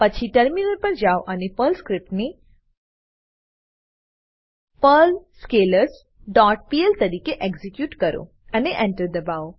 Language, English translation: Gujarati, Then switch to terminal and execute the Perl script as perl perlArray dot pl and press Enter